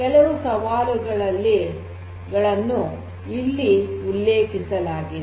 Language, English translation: Kannada, Here are some of these challenges that are mentioned